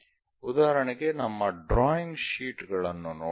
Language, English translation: Kannada, For example, let us look at our drawing sheets